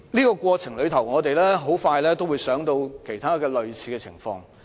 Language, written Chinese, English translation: Cantonese, 在過程中，多位議員亦會聯想起其他類似情況。, In the process many Members have associated this matter with other similar cases